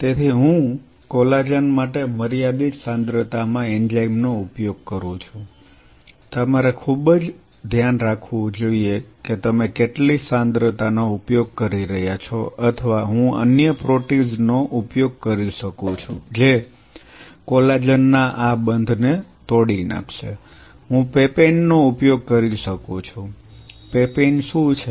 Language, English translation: Gujarati, So, I use collagen is enzyme at a limited concentration you have to be very careful what is the concentration you are using or I can use another protease which will break these bonds of collagen, I can use papain, what is papain